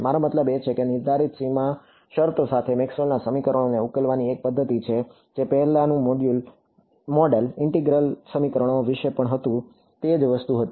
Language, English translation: Gujarati, I mean it is a method of solving Maxwell’s equations with prescribed boundary conditions, which is what the earlier model was also about integral equations was also the same thing